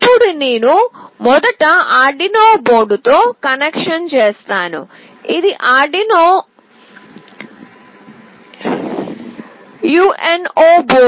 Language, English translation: Telugu, Now I will be doing the connection first with the Arduino board, this is Arduino UNO board